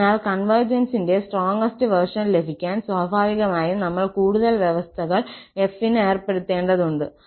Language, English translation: Malayalam, So, to get the stronger version of convergence, naturally, we have to impose more conditions on f